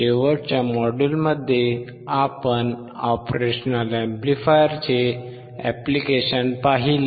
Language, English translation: Marathi, In the last module we have seen the applications of operation amplifier